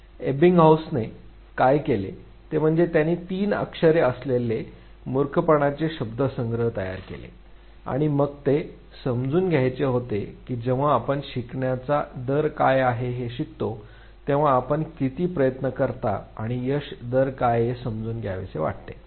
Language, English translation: Marathi, What Ebbinghaus did was he created set of nonsense syllables with three letters and then he wanted to understand that when we learn what is the rate of learning, how many attempts do you take, and what is the success rate